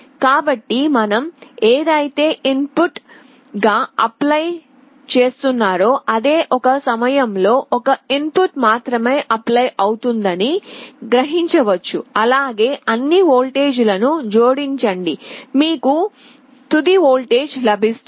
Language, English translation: Telugu, So, whatever you are applying you may imagine that one input is being applied at a time, you calculate, add all the voltages up you will be getting the final voltage